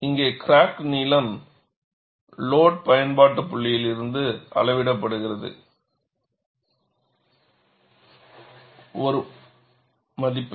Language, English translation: Tamil, Here the crack length is measured from the load application point